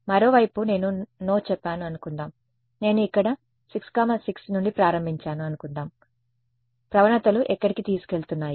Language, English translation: Telugu, On the other hand, supposing I said no I will start my search from let us say (6,6) supposing I have start from here where do was the gradients taking